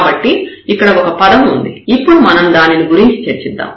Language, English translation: Telugu, So, there is a term here, let us discuss